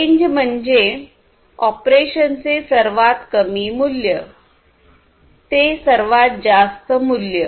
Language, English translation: Marathi, Range means the range of operation lowest value to highest value